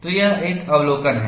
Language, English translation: Hindi, So, this is one observation